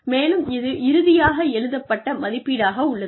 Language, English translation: Tamil, And, that is the final written appraisal